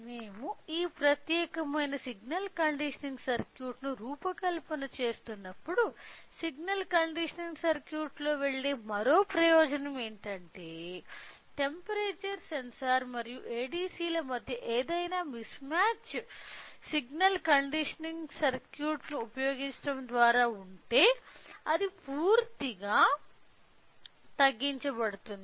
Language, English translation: Telugu, And, not only that when we are designing this particular signal conditioning circuit the another advantage of going with signal conditioning circuit is that the any mismatch between the temperature sensor and ADC will be completely minimised by using a signal conditioning circuit